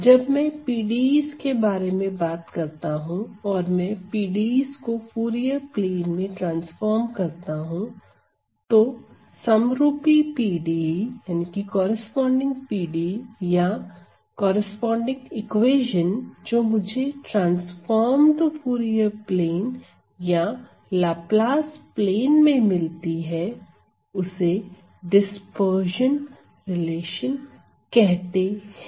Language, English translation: Hindi, So, when I talk about the PDEs and I transform the PDEs into this Fourier plane, then the corresponding PDE that I or the corresponding equation that I get in the transformed Fourier plane, Fourier or Fourier Laplace plane is the so called dispersion relation